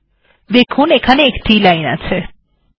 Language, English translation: Bengali, You can see only one line here